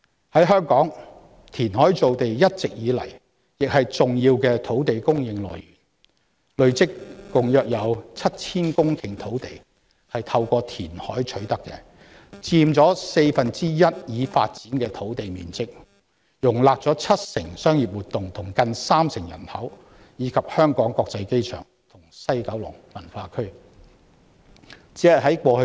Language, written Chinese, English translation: Cantonese, 在香港，填海造地一直以來是重要的土地供應來源，累積共約 7,000 公頃土地是透過填海取得的，佔已發展的土地面積四分之一，容納了七成商業活動及近三成人口，以及香港國際機場和西九龍文化區。, In Hong Kong land production by reclamation has all along been an important source of land supply . Approximately 7 000 hectares of land in total has been acquired accumulatively through reclamation accounting for one fourth of our developed land area and accommodating 70 % of our commercial activities and close to 30 % of the population the Hong Kong International Airport and the West Kowloon Cultural District